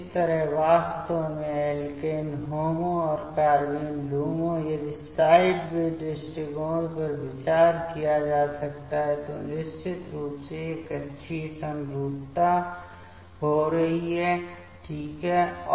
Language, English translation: Hindi, So, in these way actually the alkene HOMO and the carbene LUMO if the sideway approach can be considered, then definitely this orbital symmetry is happening ok